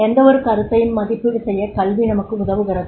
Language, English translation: Tamil, Education is critically evaluation, it helps us to evaluate any concept